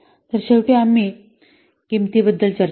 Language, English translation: Marathi, So, finally, we have discussed the price